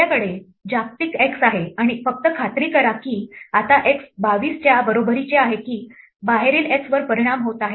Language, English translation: Marathi, We have global x, and just make sure that the x is equal to 22 inside is actually affecting that x outside